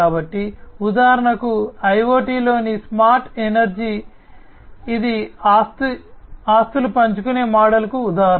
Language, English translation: Telugu, So, for example smart energy smart energy in IoT, this is an example of assets sharing model